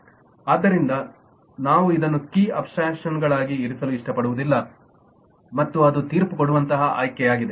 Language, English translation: Kannada, so we probably would not like to put as a key abstractions and that is a judgement choice